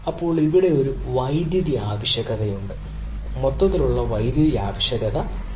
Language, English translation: Malayalam, right now, there is a power requirement out here, there is a overall power requirement out here, right